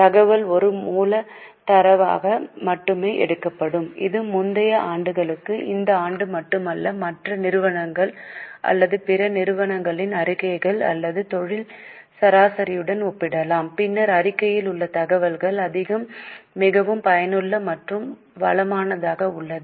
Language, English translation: Tamil, Not only for this year, for earlier years, it can be compared with the statements of other companies or other entities or of industry average, then the information in the statement becomes much more useful and enriched